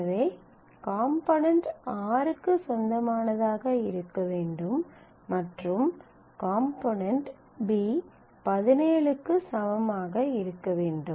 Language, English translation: Tamil, So, you have to say component taken together must belong to r and the component b must be equal to 17